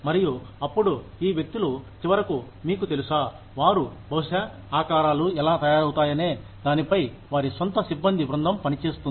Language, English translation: Telugu, And, then, these people will finally, you know, they will, maybe, have their own team of personnel working, on how the shapes are made